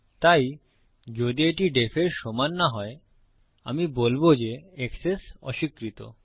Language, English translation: Bengali, So if it doesnt equal def, Ill say Access denied